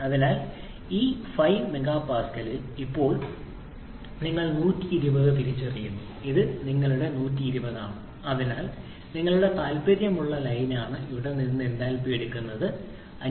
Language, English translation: Malayalam, So in this 5 mega pascal now you identify 120 this is your 120 so this is the line that is of your interest from there you take the enthalpy which is nothing but this 507